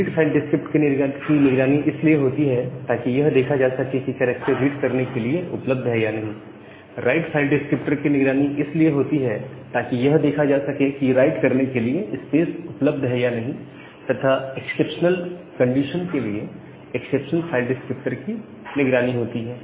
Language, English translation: Hindi, So, you have three different file descriptor that each file descriptor will be watched to see if characters become available for reading, the write file descriptor will be watched to see if the spaces available for write and the exceptional file descriptor will be watched for exceptional condition